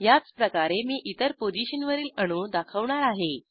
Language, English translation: Marathi, Likewise I will display atoms at other positions